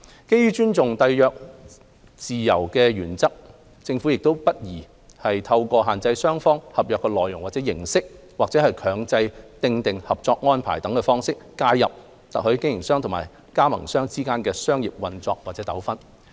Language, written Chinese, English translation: Cantonese, 基於尊重締約自由的原則，政府亦不宜透過限制雙方合約內容或形式，或強制訂定合作安排等方式介入特許經營商和特許加盟商之間的商業運作和糾紛。, Under the principle of respect for freedom of contract it is not appropriate for the Government to intervene into the commercial operations and disputes between franchisors and franchisees by restricting the substance or format of contracts between parties or imposing specific arrangements for cooperation etc